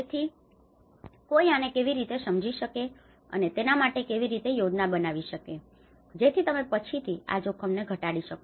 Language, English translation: Gujarati, So, how one can understand this and how can plan for it so that you can reduce these risks later